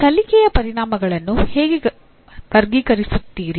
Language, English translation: Kannada, Wherever you have these learning outcomes how do I classify them